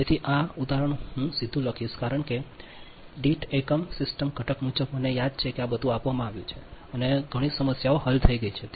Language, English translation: Gujarati, so this example directly, i will write it because per unit system component as per as per, as i remember, everything has been given and many problems have been solved